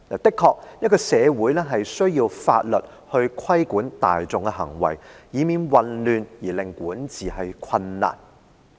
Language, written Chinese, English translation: Cantonese, 的確，社會需要法律來規管大眾的行為，以免混亂而令管治困難。, Indeed all communities need the law to regulate the behaviour of the people in order to prevent chaos which may result in governance difficulties